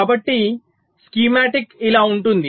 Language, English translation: Telugu, so the idea is like this